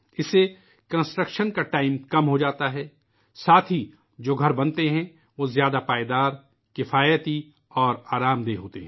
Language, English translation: Urdu, Along with that, the houses that are constructed are more durable, economical and comfortable